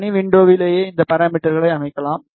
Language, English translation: Tamil, You can also set other parameters in the task window itself